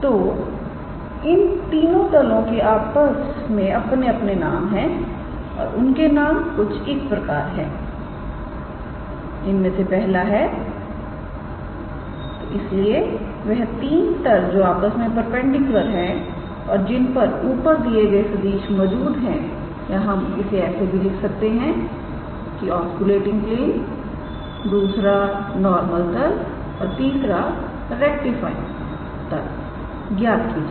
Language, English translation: Hindi, So, those three planes have also their names and the names are like first one is, so the three mutually perpendicular planes in which the above vectors lie or we can write determine the osculating planes, second one is normal plane and third one is rectifying plane alright